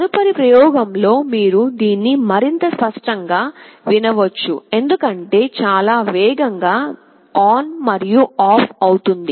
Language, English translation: Telugu, In the next experiment, you can hear it much more clearly because, will be switching ON and OFF much faster